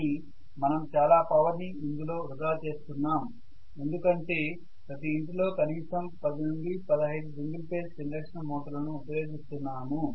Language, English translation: Telugu, But we are wasting huge amount of power in that because every home uses at least 10 to 15 single phase induction motor